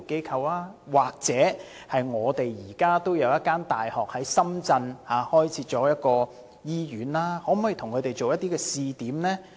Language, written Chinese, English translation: Cantonese, 又或考慮與本港一所大學在深圳開設的一間醫院合作設立試點呢？, Or consider running a pilot programme at the University of Hong Kong - Shenzhen Hospital in this regard?